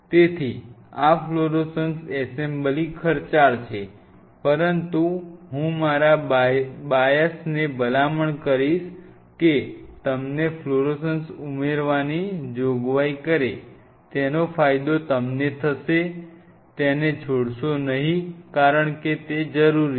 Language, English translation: Gujarati, So, this fluorescent assembly is a costly affair, but as I told you with my biasness I will recommend you have a provision for adding fluorescence you will be benefited by it do not leave it because this is needed